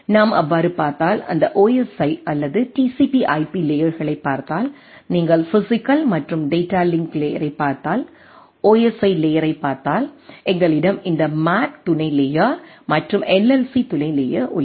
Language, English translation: Tamil, And if we look at so, if we look at that OSI or TCP/IP layers per say if you look at the physical and data link layer, so the OSI layer, then we have this MAC sub layer and LLC sub layer